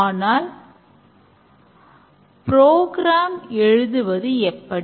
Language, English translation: Tamil, But what about program writing